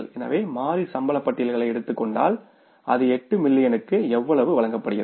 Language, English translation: Tamil, So, if you take the variable payrolls, how much it is given for the 8 millions